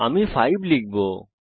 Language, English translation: Bengali, I will give 5 this time